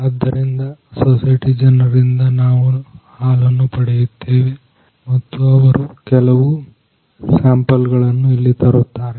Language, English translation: Kannada, So, we are collecting the milk from the society people and they are bringing some samples over here